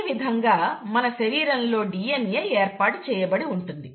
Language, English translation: Telugu, So, that is what, that is how the DNA in our body is organized